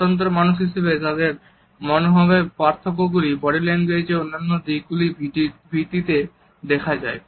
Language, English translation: Bengali, The differences in their attitudes as independent human beings can also be seen on the basis of the other aspects of body language